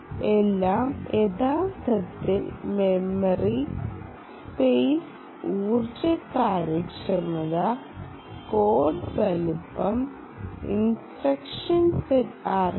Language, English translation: Malayalam, so everything is actually related: memory space, energy efficiency, code size, um, the instruction set, architecture and so on